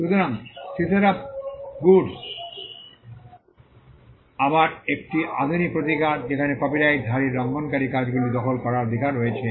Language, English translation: Bengali, So, seashore of goods is again a modern day remedy where a copyright holder has the right to seize the infringing works